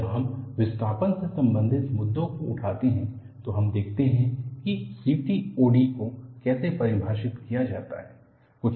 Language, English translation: Hindi, When we take up the issues related to displacement and so on, we will look at how CTOD is defined